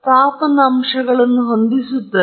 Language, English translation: Kannada, So, you have heating elements